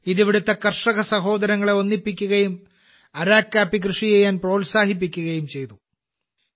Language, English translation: Malayalam, It brought together the farmer brothers and sisters here and encouraged them to cultivate Araku coffee